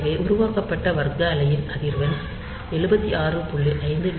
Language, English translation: Tamil, So, frequency of the square wave that is generated is 1 upon 76